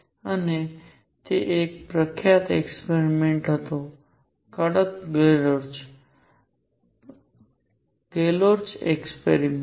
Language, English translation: Gujarati, And then there was a famous experiment stern Gerlach, Gerlach experiment